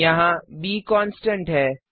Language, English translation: Hindi, Here, b is a constant